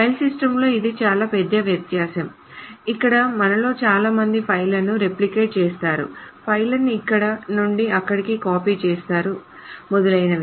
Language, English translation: Telugu, This is a big difference over file systems where most of us replicate files, copy files from here to there, etc